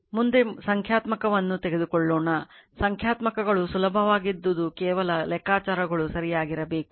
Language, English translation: Kannada, Next will take the numerical; numericals are easy only thing is calculations should be correct for example